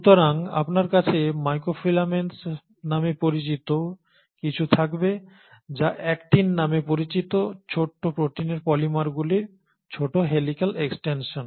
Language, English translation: Bengali, So you will have something called as microfilaments which are helical small extensions of polymers of small proteins called as Actin